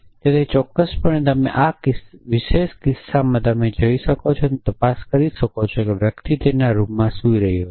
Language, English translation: Gujarati, So, off course, you can in this particular case you can go and check with the person is sleeping in his room